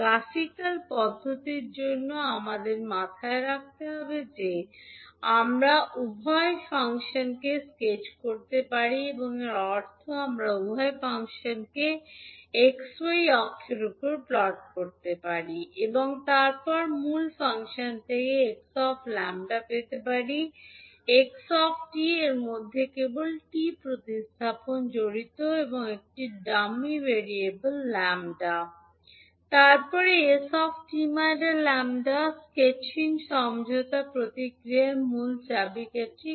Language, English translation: Bengali, So for the graphical approach we have to keep in mind that we can sketch both of the functions and means we can plot both of the function on x y axis and then get the x lambda from the original function xt, this involves merely replacing t with a dummy variable lambda